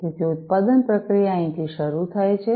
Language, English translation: Gujarati, So, the production process starts from here